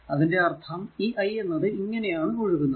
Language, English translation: Malayalam, So, now that is your i 1 is equal to i